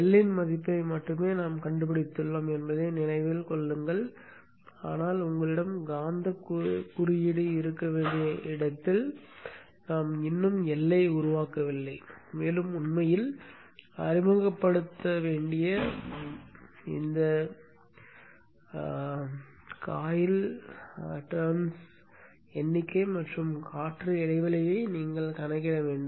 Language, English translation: Tamil, Keep in mind now that we have only found the value of L but we have not made the L where you will need to have a magnetic core and you will have to calculate the number of windings and the air gap to be introduced to actually manufacture the inductor with the magnetic